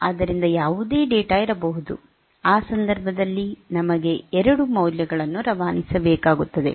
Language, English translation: Kannada, So, whatever data so, in that case we required 2 values to be passed